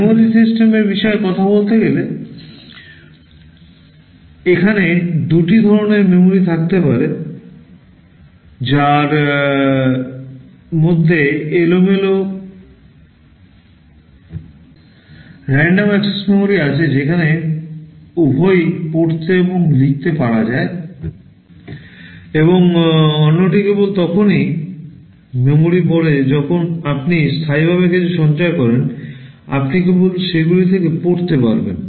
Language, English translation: Bengali, Talking about the memory system broadly speaking there can be two kinds of memory; one which is called random access memory where you can both read and write, and the other is read only memory when you store something permanently you can only read from them